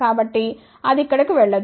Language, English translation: Telugu, So, that will not go over here